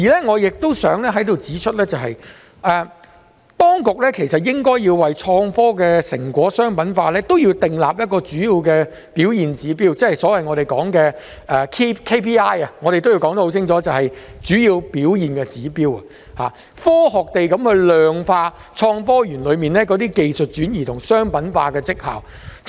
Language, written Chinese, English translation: Cantonese, 我亦想在此指出，當局其實應該要為創科的成果商品化訂立一個主要表現指標，即是我們所謂的 KPI， 我要說清楚便是主要表現指標，應該科學地量化創科園中的技術轉移及商品化的績效。, I consider this very important . I also want to point out that the authorities should also set up Key Performance Indicators for the commercialization of innovative technology results which is also commonly known as the KPI . I need to explain clearly that we should put in place the KPI so to scientifically quantify the achievements in technology transfer and commercialization of the results in the Park